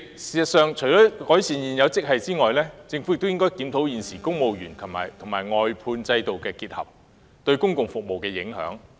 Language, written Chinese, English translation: Cantonese, 事實上，主席，除改善現有職系外，政府亦應檢討現時把公務員和外判合約承辦商僱員結合這種制度對整體公共服務的影響。, In fact President apart from improving the existing grades the Government should also review the impact of the existing system on the overall public services